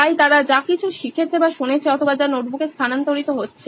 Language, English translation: Bengali, So whatever they have learnt or heard or what is being transferred to the notebook